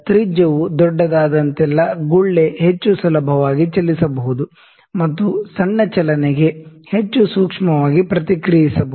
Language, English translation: Kannada, So, the larger is the radius, means the bubble can move more easily and reacts to the smaller movement sensitivity more sensitively